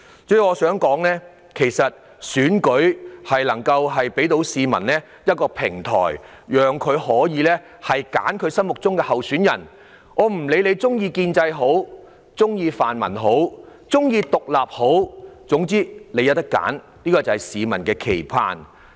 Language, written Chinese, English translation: Cantonese, 主席，選舉為市民提供一個平台，讓他們揀選心目中的候選人，無論他們屬意建制、泛民或獨立人士，他們也是有選擇的，這正是市民的期盼。, President elections provide a platform for members of the public to choose the candidates they prefer regardless of whether they belong to the pro - establishment camp pan - democratic camp or are independent candidates . People have a choice which is precisely their aspiration